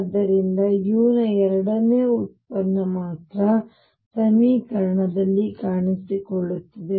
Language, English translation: Kannada, So, that only the second derivative of u appears in the equation